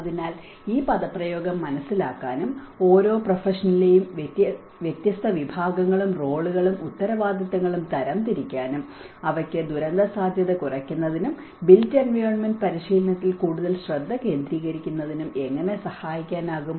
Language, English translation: Malayalam, So, this is where to understand this jargon and to classify various categories and roles and responsibilities of each profession and how they can contribute to the disaster risk reduction and more focused into the built environment practice